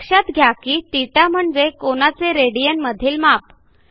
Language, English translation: Marathi, Notice that the value of θ is actually the value of the angle in radian